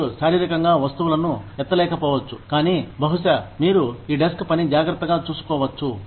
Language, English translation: Telugu, You may not be able to physically lift things, but maybe, you can take care of this desk work